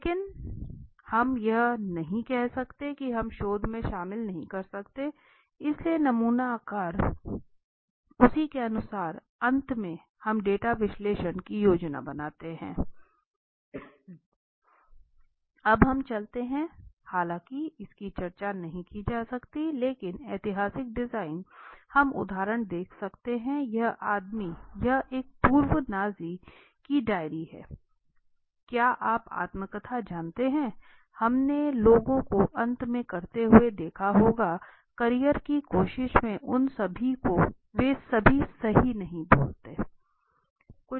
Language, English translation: Hindi, But we cannot say we cannot included in the research so sample size accordingly right then finally we plan a data analysis now let us move to something called although it is not discussed much but still historical design now this guy we can see the example this is the diary of a former Nazi right very right is you know autobiography we must seen people doing at the end of the career trying to all those at they never speak up right